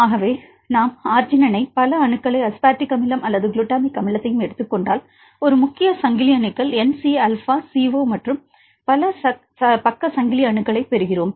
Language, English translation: Tamil, So, n if we take the arginine right many several atoms also we take the aspartic acid or glutamic acid we get several atoms right a main chain atoms N C alpha CO and several side chain atoms